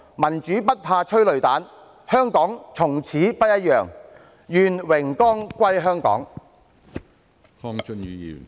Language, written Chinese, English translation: Cantonese, 民主不怕催淚彈，香港從此不一樣，願榮光歸香港。, Democracy is not afraid of tear gas . Hong Kong is no longer the same . May glory be to Hong Kong